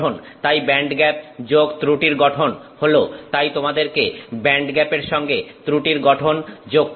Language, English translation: Bengali, So, band gap plus defect structure is, so you have to add band gap plus defect structure